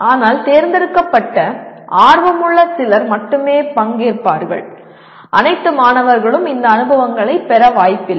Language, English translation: Tamil, But only a selected, some interested people only will participate where all students are not likely to get these experiences